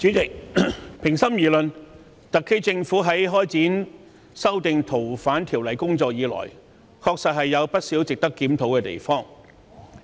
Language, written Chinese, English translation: Cantonese, 主席，平心而論，特區政府修訂《逃犯條例》的工作自開展以來，確有不少值得檢討的地方。, President honestly speaking there are actually a lot of areas worth reviewing in the Governments exercise to amend the Fugitive Offenders Ordinance FOO since day one